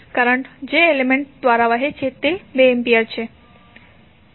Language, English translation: Gujarati, Current which is flowing through an element is 2 amperes